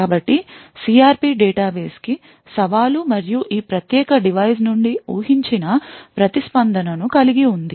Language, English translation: Telugu, So the CRP database contains a challenge and the expected response from this particular device